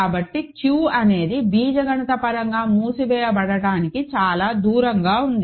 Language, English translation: Telugu, So, Q is very far from being algebraically closed